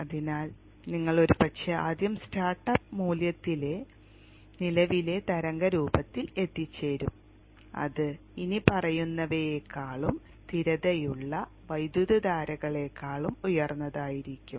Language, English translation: Malayalam, So you will probably land up with current waveform at the first startup value which would be much higher than the following and the steady state currents